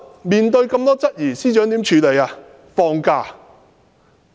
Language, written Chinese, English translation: Cantonese, 面對眾多質疑，司長如何處理呢？, Confronted with numerous queries what did the Secretary do to deal with it?